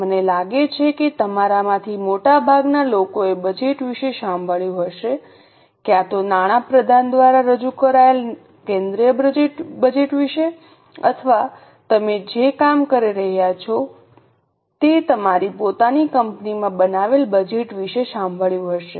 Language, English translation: Gujarati, I think most of you would have heard about budgets, either about the union budget which is presented by the finance minister or those who are working, you would have heard about budgets made in your own company